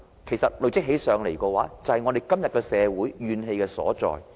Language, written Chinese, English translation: Cantonese, 其實這些累積起來，便是社會今天的怨氣所在。, Indeed the pileup of such distrust sees the source of grievances in the present - day society